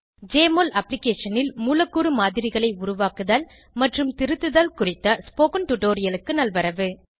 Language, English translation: Tamil, Welcome to this tutorial on Create and Edit molecular models in Jmol Application